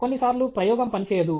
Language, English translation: Telugu, The experiment will not work